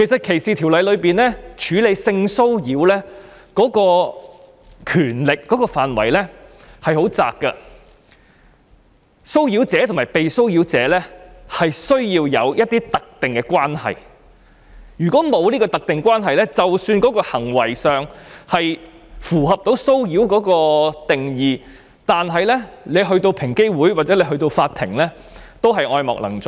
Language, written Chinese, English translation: Cantonese, 歧視法例中處理性騷擾的權力的範圍很狹窄，騷擾者和被騷擾者必須有特定關係，如果沒有，即使行為上符合騷擾的定義，但個案交到平等機會委員會或法庭手上也是愛莫能助。, The scope of the power to deal with sexual harassment in discrimination legislation is very narrow . The harasser and the victim must bear certain specified relationship; otherwise even if the behaviour itself falls under the definition of harassment nothing can be done when the case is referred to the Equal Opportunities Commission EOC or the court